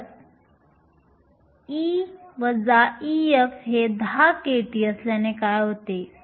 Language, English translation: Marathi, What if e minus e f is 10 kT